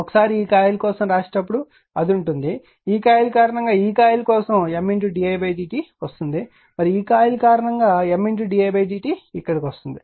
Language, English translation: Telugu, Once because of the when your when your writing your for this coil it will be it was M d i is the d t will comefor this coil because of this coil and for M d i d t will come here because of this coil